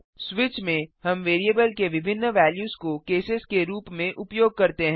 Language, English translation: Hindi, In switch we treat various values of the variable as cases